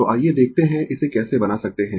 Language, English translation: Hindi, So, let us see how we can make it